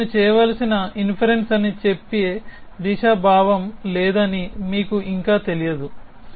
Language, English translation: Telugu, You still do not know there is no sense of direction saying that this is an inference I should make